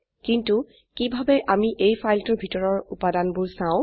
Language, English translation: Assamese, But how do we see the content of this file